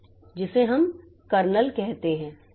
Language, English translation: Hindi, So, that we call the kernel